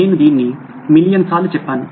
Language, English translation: Telugu, I must have said this a million times